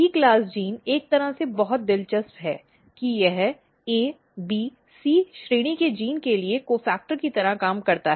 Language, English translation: Hindi, And then if you look the E class gene E class gene is very interesting in a way that it works like a cofactor for A, B, C class genes